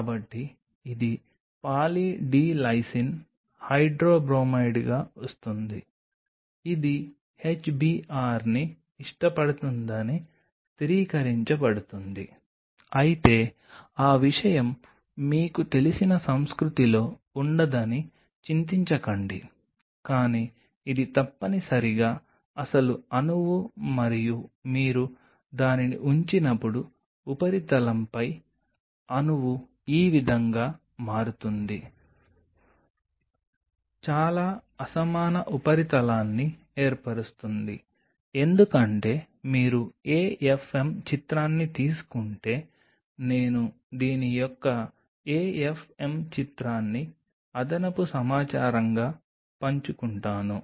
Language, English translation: Telugu, So, it comes as Poly D Lysine hydrobromide that is to stabilized it will like HBR, but do not worry that thing does not remain in the culture it kind of you know removes, but this is essentially the actual molecule is and while you put it on the surface the molecule becomes something like this, forms a fairly uneven surface because if you take an AFM image I will share an AFM image of this as an additional information